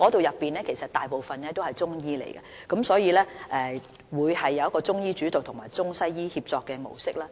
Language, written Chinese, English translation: Cantonese, 由於中醫組大部分成員為中醫，所以會以中醫主導及中西醫協作模式運作。, As most Subcommittee members are Chinese medicine practitioners Chinese medicine will have the leading role and the ICWM service model will be adopted